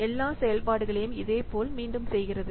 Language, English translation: Tamil, So it treats all the functions similarly